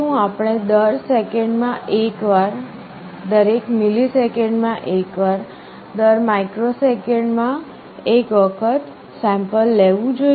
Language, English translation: Gujarati, Should we sample once every second, once every millisecond, once every microsecond, what should be the best sampling rate